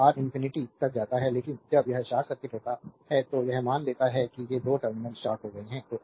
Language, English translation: Hindi, When R tends to infinity, but when it is short circuit when you short it suppose these 2 terminals are shorted